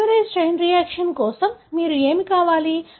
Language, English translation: Telugu, So, what you need for a polymerase chain reaction